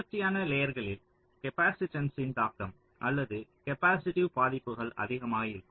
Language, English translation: Tamil, ok, so across consecutive layers, the impact of the capacitance or the capacitive affects will be more